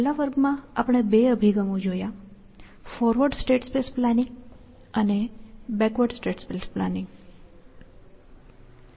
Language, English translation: Gujarati, In the last class we saw two approaches; one was a forward state space planning, and the other was backward state space planning